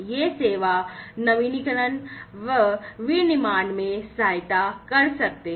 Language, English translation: Hindi, These service innovations, they can aid in manufacturing